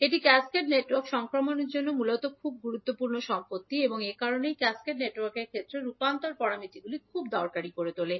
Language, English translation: Bengali, This is basically very important property for the transmission the cascaded network that is why makes the transition parameters very useful in case of cascaded network